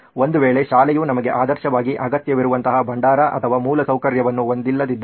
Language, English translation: Kannada, In case school does not have a repository or infrastructure like what we would ideally require